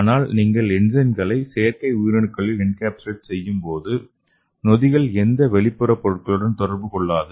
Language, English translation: Tamil, So we can encapsulate this enzyme at artificial cells and that could be useful for various therapeutic applications